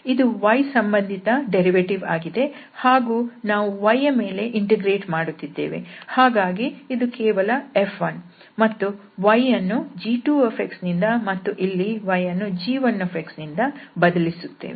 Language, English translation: Kannada, So since we have this derivative and then we are also integrating with respect to y, so this is simply F 1 and then we have to put the limits from g 1 to g 2